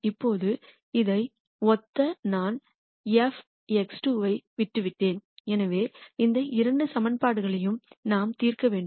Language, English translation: Tamil, Now, and corresponding to this I left 4 x 2 which is what we have here